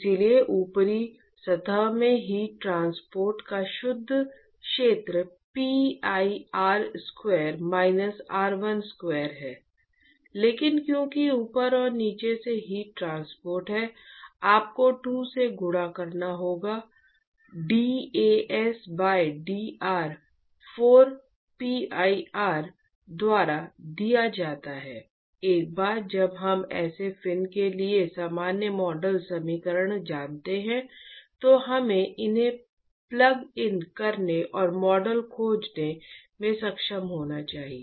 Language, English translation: Hindi, Therefore the net area of heat transport in the top surface is pi r square minus r1 square, but because there is heat transport from the top and the bottom you have to multiply by 2, dAs by dr is given by 4pir, once we know these areas we know the general model equation for such of fin, we should be able to plug these in and find the model